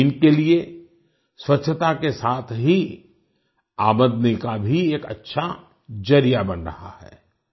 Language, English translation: Hindi, This is becoming a good source of income for them along with ensuring cleanliness